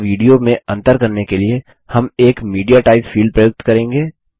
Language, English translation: Hindi, In order to distinguish between an audio and a video, we will introduce a MediaType field